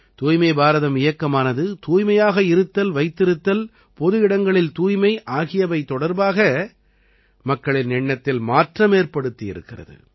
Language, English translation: Tamil, The Swachh Bharat Abhiyan has changed people's mindset regarding cleanliness and public hygiene